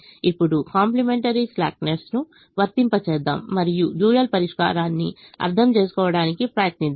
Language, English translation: Telugu, now let's apply the complimentary slackness and try to understand the dual solution